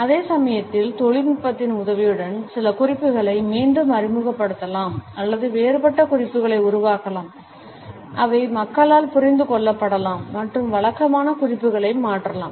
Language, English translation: Tamil, At the same time, we find that with a help of technology, we can re introduce certain cues or generate a different set of cues, which can be understood by people and can replace the conventional set of cues